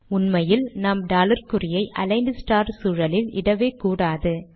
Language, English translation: Tamil, As a matter of fact, we should not enter the dollar sign within the aligned star environment